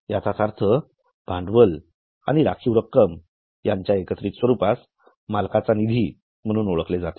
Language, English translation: Marathi, So, these two items taken together, capital plus reserves, are known as owners fund